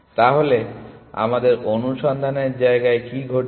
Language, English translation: Bengali, So, what is happened in our search space